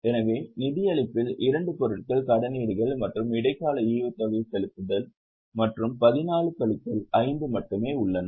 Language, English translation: Tamil, So, in financing there are only two items, issue of debentures and interim dividend paid plus 14 minus 5